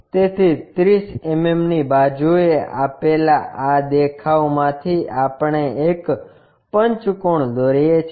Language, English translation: Gujarati, So, this is one of the view given with 30 mm side, we draw a pentagon